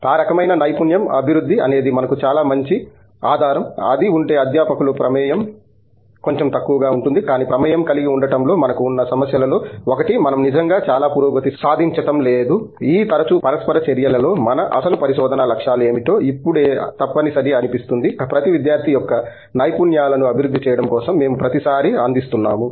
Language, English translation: Telugu, Those kinds of skill development is something that if we have a very good base of it the faculty involvement could be a little lesser, but one of the problems that we have in having to have an involvement is we are not really making a lot of progress, on what our original research goals are in these frequent interactions that seem to be a must right now, simply because we are actually providing through developing skills of each and every student every all over again every time